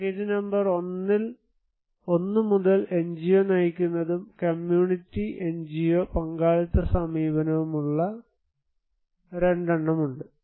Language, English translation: Malayalam, And from package number 1, there are 2 that are NGO driven and community NGO partnership approach